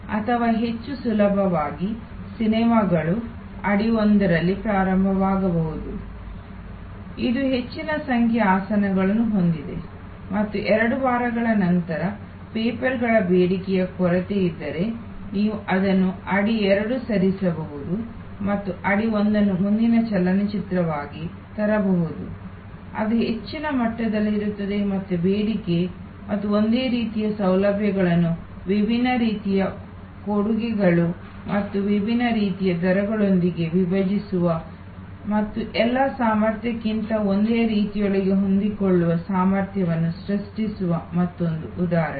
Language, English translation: Kannada, Or more easily movies may start in audi one which has a much higher number of seats and after two weeks when the demand short of papers, you can move it audi two and bring in audi one the next movie which is at a much higher level of demand again and another example of splitting the same facility with different kind of offerings and different kind of rates and creating flexible capacity within the same over all capacity